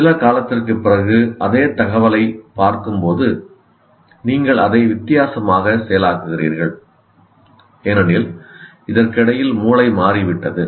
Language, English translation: Tamil, So when you look at some, same information, let us say, after some time, after a lapse of time, you are processing it differently because meanwhile the brain has changed